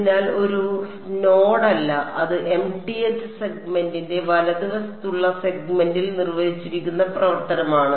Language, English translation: Malayalam, So, W m is not a node it is the function defined on the segment on the mth segment right